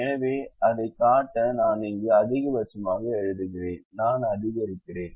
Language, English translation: Tamil, so i am just writing max here to show that i am maximizing now the function that we are maximizing